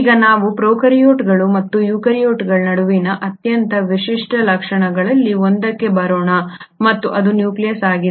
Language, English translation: Kannada, Now let us come to one of the most distinguishing features between the prokaryotes and the eukaryotes and that is the nucleus